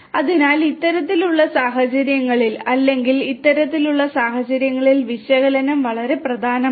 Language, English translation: Malayalam, So, analytics is very important in this kind of situations or this kind of scenarios